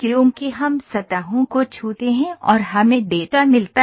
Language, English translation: Hindi, Because we touch surfaces and we get the data